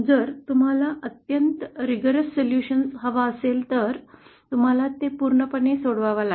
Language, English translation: Marathi, If you want a rigorous solution then you have to solve it completely